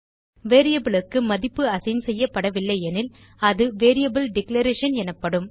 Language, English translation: Tamil, If a value is not assigned to a variable then it is called as declaration of the variable